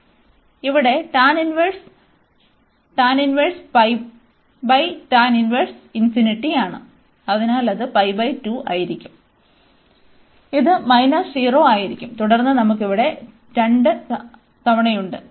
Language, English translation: Malayalam, So, again not, so this is this is here tan inverse tan inverse pi by tan inverse infinity, so that will be pi by 2 and this is minus 0 and then we have here 2 times